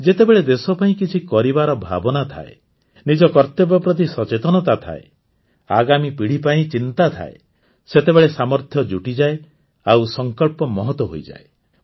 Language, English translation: Odia, When there is a deep feeling to do something for the country, realize one's duties, concern for the coming generations, then the capabilities also get added up, and the resolve becomes noble